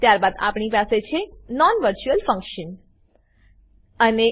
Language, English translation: Gujarati, Then we have a non virtual function